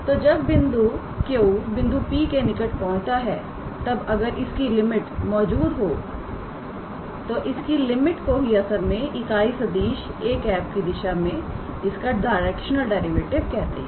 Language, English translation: Hindi, So, when Q approaches to P then if this limit exists then this limit is actually called as the directional derivative in the direction of this unit vector a cap